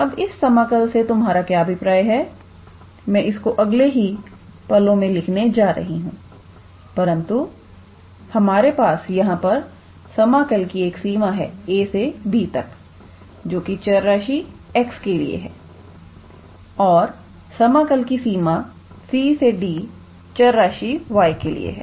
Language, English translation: Hindi, Now, what do we mean by this integral I am going to write it down in probably next couple of minutes, but here we have a range of integration a to b which is for the variable x and range of integration from c to d which is for the variable y